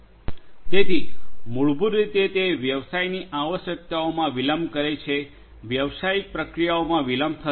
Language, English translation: Gujarati, So, that basically delays the business requirements, business processes will be delayed